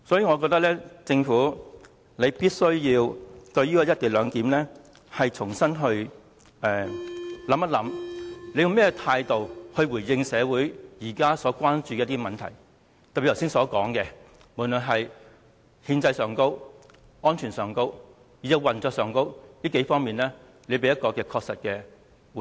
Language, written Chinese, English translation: Cantonese, 我認為政府必須重新檢視"一地兩檢"，看看用甚麼態度來回應社會現時關注的問題，以及在剛才所說的幾方面，特別是在憲政上、安全上、運作上等，也給予確實的回應。, I think the Government must re - examine the co - location arrangement to decide how it should respond to the current concerns of the community . The Government should also respond specifically to the several areas mentioned just now particularly the constitutional safety and operation aspects